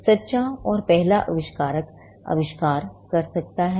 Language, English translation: Hindi, Now, the true and first inventor may invent the invention